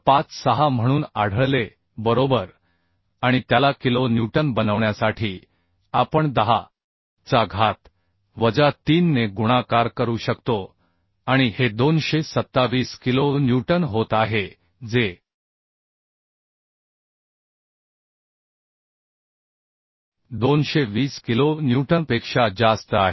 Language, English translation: Marathi, right, and to make it kilo newton we can multiply as 10 to the minus 3 and this is becoming 227 kilo newton, which is greater than 220 kilo newton